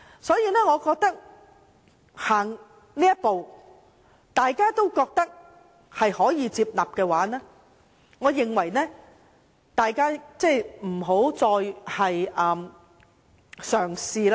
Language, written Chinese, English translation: Cantonese, 所以，踏前了這一步，如果大家都覺得可以接納的話，我認為大家不要再嘗試再進一步。, Since we have already taken a step forward if Members find it acceptable I think Members should stop attempting to take a further step